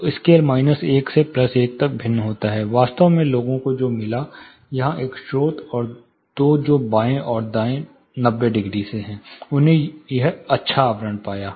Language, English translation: Hindi, So, you know the scale varies from minus 1 to plus 1, actually what people found was; one source here and two that is from left and right 90 degrees they found a good envelopment